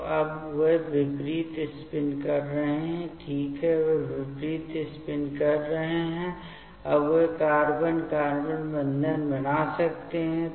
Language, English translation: Hindi, So, now, they are having the opposite spin ok, they are having opposite spin, now they can make the carbon carbon bond